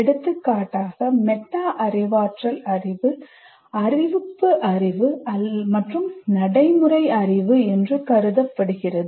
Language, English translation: Tamil, For example, the metacognitive knowledge is considered to be declarative knowledge and procedural knowledge